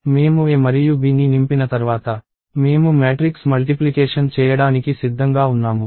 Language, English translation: Telugu, And once I have A and B filled up, I am ready to do matrix multiplication